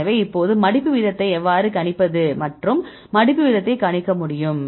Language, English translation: Tamil, So, now, we can predict the folding rate right how to predict the folding rate